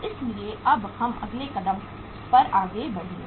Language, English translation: Hindi, So now we will move to the next step uh further